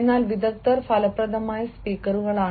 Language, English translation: Malayalam, but experts are effective speakers